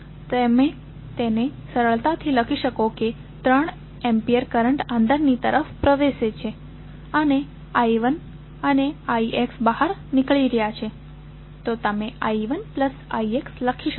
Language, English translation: Gujarati, That you can simply write it the 3 ampere current is going in and i 1 and i X are going out, so you will write as i 1 plus i X